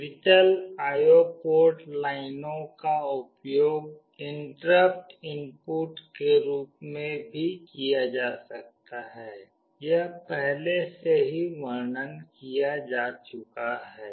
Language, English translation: Hindi, The digital I/O port lines can be used as interrupt inputs as well; this is already discussed